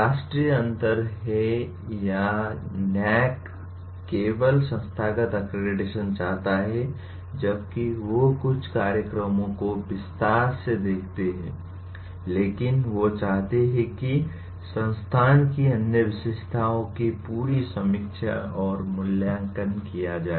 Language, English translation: Hindi, The difference is National or the NAAC wants only the institutional accreditation while they look at some programs in detail, but they want a whole bunch of other characteristics of the institute to be reviewed and evaluated